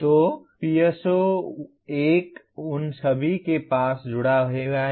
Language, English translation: Hindi, So PSO1 is associated with all of them